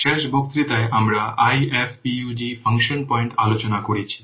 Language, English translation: Bengali, Last class already we have discussed IFAPUG function points